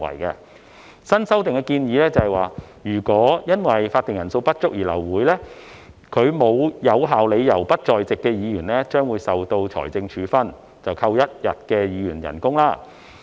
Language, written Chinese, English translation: Cantonese, 根據新的修訂建議，如果因為法定人數不足而流會，沒有有效理由而不在席的議員將會受到財政處分，被扣除一天的議員薪酬。, According to the newly proposed amendments if a meeting is aborted due to a lack of quorum Members absent without valid reasons will be subject to a financial penalty which is equivalent to one days remuneration of a Member